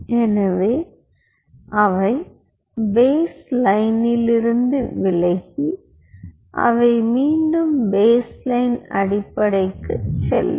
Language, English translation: Tamil, so they will deflect from the baseline and they will go back to the baseline